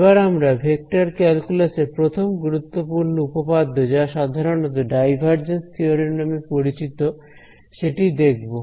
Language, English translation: Bengali, Let us move to our first main theorem in vector calculus which is most commonly known as a divergence theorem